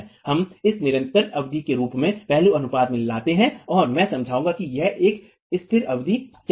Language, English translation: Hindi, We bring in the aspect ratio in the form of this constant term B and I will explain what is this constant term in a moment